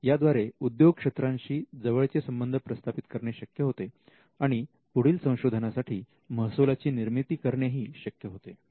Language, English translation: Marathi, It builds closer ties with the industry and it generates income for further research